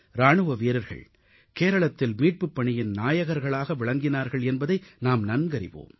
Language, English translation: Tamil, We know that jawans of our armed forces are the vanguards of rescue & relief operations in Kerala